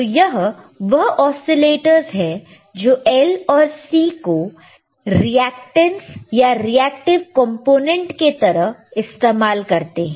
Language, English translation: Hindi, So, these are the oscillator that are using L and C as reactances or reactive components these are reactive components